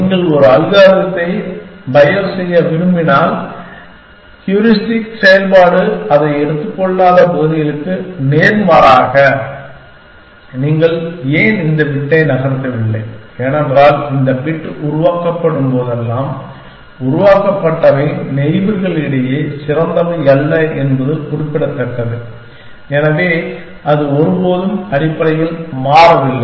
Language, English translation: Tamil, If you want to bios a algorithm, opposite towards those areas which the heuristic function is not taking it to, why did you not move this bit, because whenever this bit was generated, it is the noted generated was not the best amongst the neighbors and so, it never got changed essentially